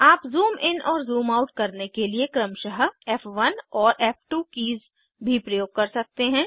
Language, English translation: Hindi, You can also use F1 and F2 keys to zoom in and zoom out, respectively